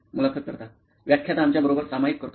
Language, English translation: Marathi, Lecturer shares with us